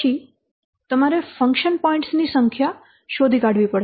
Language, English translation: Gujarati, So then you have to find out the number of function points